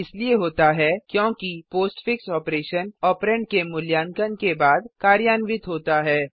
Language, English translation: Hindi, This is because the postfix operation occurs after the operand is evaluated